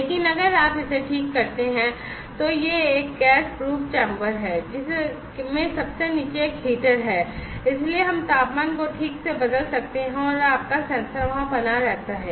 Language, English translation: Hindi, But if you just fix this one so it is a gas proof chamber with a heater embedded at the bottom; so, we can precisely change the temperature and your sensor remains there